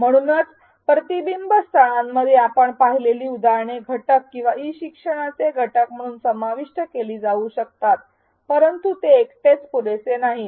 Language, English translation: Marathi, So, the examples we saw in the reflection spots may be included as elements or aspects of e learning, but they alone may not be enough